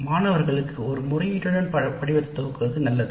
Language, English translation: Tamil, So it is better to start the form with an appeal to the students